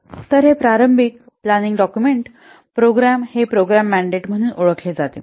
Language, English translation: Marathi, So this is the initial planning document is known as the program mandate